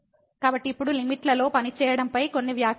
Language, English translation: Telugu, So, now few remarks on working with the limits